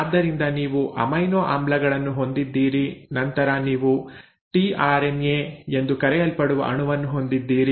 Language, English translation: Kannada, So you have amino acids and then you have a molecule called as the tRNA